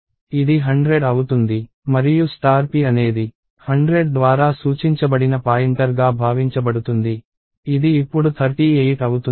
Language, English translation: Telugu, It is supposed to be a pointer which is 100 and star p is the contents pointed to by 100, which is now 38